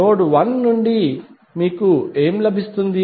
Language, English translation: Telugu, What you will get from node 1